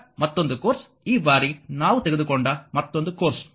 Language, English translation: Kannada, Now another course another one this time we have taken